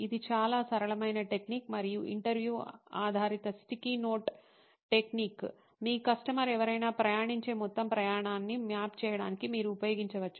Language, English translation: Telugu, It is a very simple technique, and interview based sticky note technique that you can use to map the entire journey that any of your customer is going through